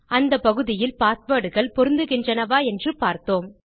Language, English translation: Tamil, At the part where we compare our passwords to check if they match